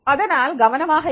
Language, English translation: Tamil, So, be careful about that